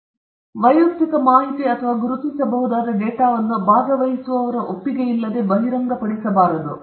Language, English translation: Kannada, Confidentiality, I repeat, personal information or identifiable data should not be disclosed without participantÕs consent